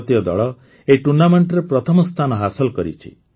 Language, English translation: Odia, The Indian team has secured the first position in this tournament